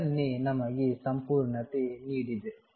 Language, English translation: Kannada, This is what completeness is given us